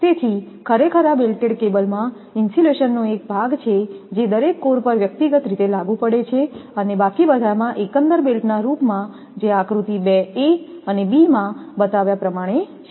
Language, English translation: Gujarati, So, this is actually belted cable has a part of the insulation applied to each core individually and the remainder in the form of an overall belt as shown in your figure 2 a and b together